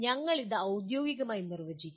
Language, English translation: Malayalam, We will formally define it